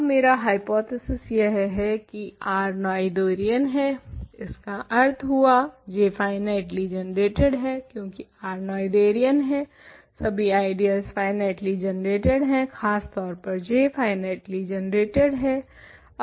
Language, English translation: Hindi, Now, my hypothesis is R is Noetherian correct, this implies J is finitely generated, because R is Noetherian, every ideal of R is finitely generated in particular J is finitely generated